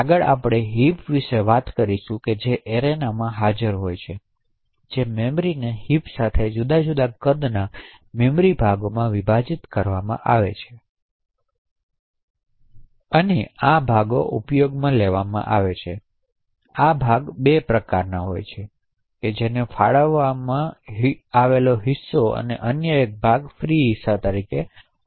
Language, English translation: Gujarati, Next we will talk about heaps which are present in an arena the memory with in a heap is split into memory chunks of different sizes and these chunks are actually used when we invoke malloc and free, so the chunks are of 2 types one is known as allocated chunks and the other one is known as the free chunks